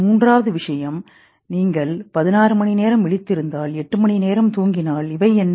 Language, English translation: Tamil, Third thing which was linked to it that if you awake for 16 hours you sleep for 8 hours, what are these